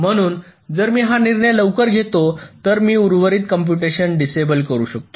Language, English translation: Marathi, so if i can take that decision early enough, then i can disable the remaining computation